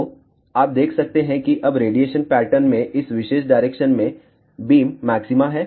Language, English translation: Hindi, So, you can see that now the radiation pattern has beam maxima in this particular direction